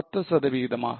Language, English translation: Tamil, By 10 percent